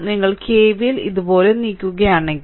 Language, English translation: Malayalam, Therefore, if you apply KVL moving like this